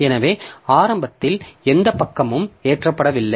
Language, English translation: Tamil, So, it will be initially no page is loaded